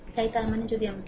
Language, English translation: Bengali, So; that means, if you let me